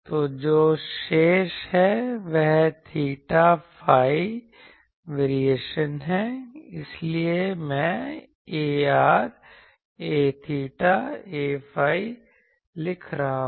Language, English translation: Hindi, So, what is remaining is there theta phi variation that is why I am writing A r dashed A theta dashed A phi dashed